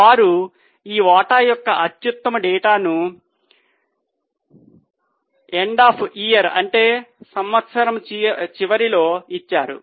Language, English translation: Telugu, They have given this share outstanding data, EOI means at the end of the year